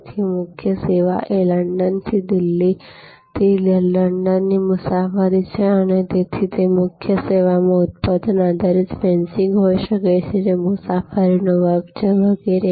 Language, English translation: Gujarati, So, the core service is the travel from London, from Delhi to London and so in that course service there can be product based fencing, which is class of travel etc